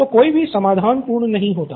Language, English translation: Hindi, So no solution is perfect